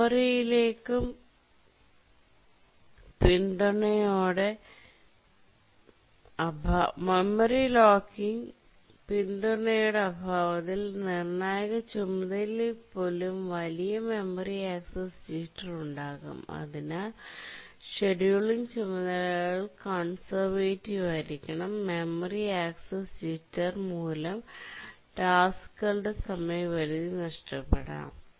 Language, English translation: Malayalam, In the absence of memory locking support, even the critical tasks can suffer large memory access jitter and therefore the task scheduling has to be extremely conservative and still the tasks may miss their deadline because of this memory access jitter